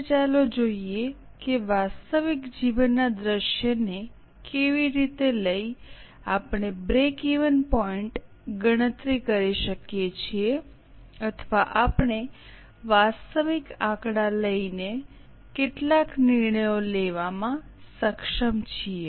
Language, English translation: Gujarati, Today, let us see how taking a real life scenario we are able to compute break even point or we are able to make some decisions taking the real figures